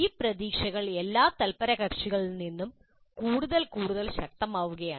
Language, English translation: Malayalam, These expectations are becoming more and more strident from all the stakeholders